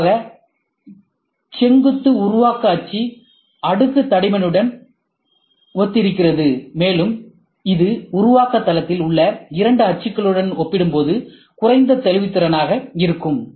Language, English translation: Tamil, Typically, the vertical build axis corresponds to layer thickness, and this would be a lower resolution as compared with the two axes in the build plane